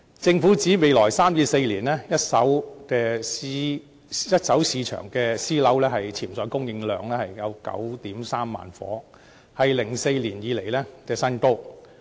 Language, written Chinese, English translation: Cantonese, 政府指未來3至4年，一手市場私人樓宇的潛在供應量有 93,000 個單位，是2004年以來的新高。, According to the Government the potential supply of first - hand private residential flats in the coming three to four years is 93 000 a record high since 2004